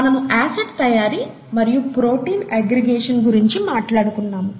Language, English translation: Telugu, We said acid formation and then protein aggregation, okay